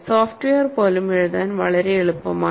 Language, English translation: Malayalam, And even the software is very elegant to write